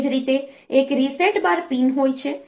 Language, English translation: Gujarati, Similarly, there is a RESET pin